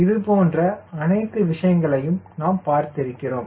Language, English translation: Tamil, all this things we have seen